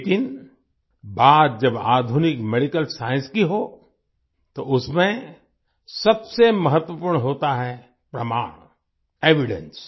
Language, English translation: Hindi, But when it comes to modern Medical Science, the most important thing is Evidence